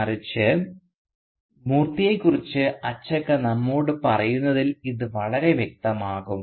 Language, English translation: Malayalam, But rather, and this becomes very clear in how Achakka tells us about Moorthy